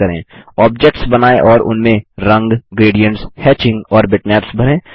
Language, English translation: Hindi, Draw objects and fill them with color, gradients, hatching and bitmaps